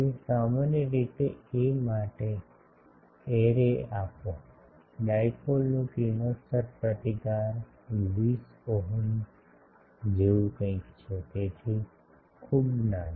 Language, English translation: Gujarati, So, typically for a, give the array, the radiation resistance of the dipole is something like 20 ohm, so quite small